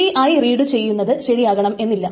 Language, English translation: Malayalam, I, the reading of TI, may not be correct